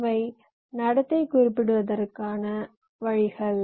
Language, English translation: Tamil, these are ways to specify behavior